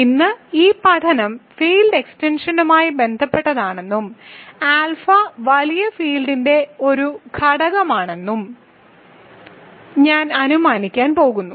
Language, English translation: Malayalam, So, let us continue this study today and I am going to assume that I am dealing with the field extension and alpha is an element of the bigger field